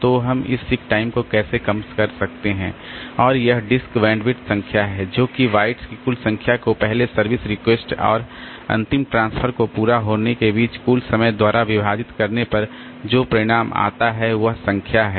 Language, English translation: Hindi, reduced so how can we reduce this sick time and this disk bandwidth is the total number of bytes transferred divided by the total time between the first request for service and the completion of the last transfer so so from if I have got a number of requests so when the first request was generated till the last transfer is over